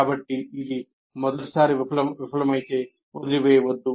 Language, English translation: Telugu, So do not abandon if it fails the first time